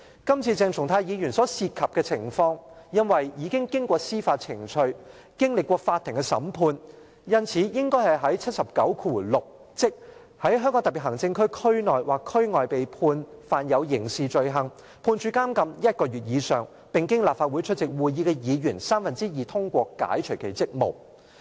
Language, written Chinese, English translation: Cantonese, 今次鄭松泰議員所涉及的情況，因為已經過司法程序，經歷過法庭的審判，因此應比照《基本法》第七十九條第六項："在香港特別行政區區內或區外被判犯有刑事罪行，判處監禁一個月以上，並經立法會出席會議的議員三分之二通過解除其職務"。, In the case of the incident concerning Dr CHENG Chung - tai he has already undergone judicial proceedings and court trials so we should refer to Article 796 of the Basic Law which stipulates that when he or she is convicted and sentenced to imprisonment for one month or more for a criminal offence committed within or outside the Region and is relieved of his or her duties by a motion passed by two - thirds of the members of the Legislative Council present